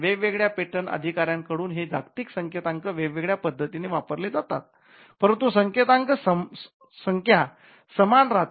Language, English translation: Marathi, So, the universal codes are used in different specifications by different patent officers but the code the numbers tend to remain the same